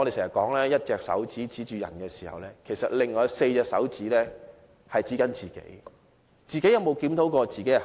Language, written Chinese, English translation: Cantonese, 常言道，用1隻手指指着別人時，另外4隻手指是指着自己。, As the saying goes When you point a finger at someone you have four fingers pointing back at yourself